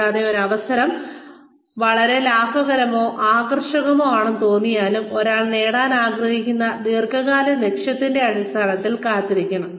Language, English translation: Malayalam, And, even if an opportunity seems, very lucrative or very appealing, one should wait, in terms of the long term goal, that one wants to achieve